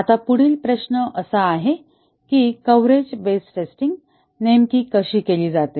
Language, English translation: Marathi, Now, the next question is how is exactly the coverage based testing carried out